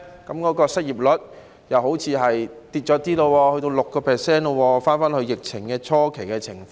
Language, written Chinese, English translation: Cantonese, 皆因失業率好像開始下跌，已回到 6%， 回到疫情初期的情況。, It is because the unemployment rate seems to have started to drop and has returned to 6 % back to the level at the beginning of the epidemic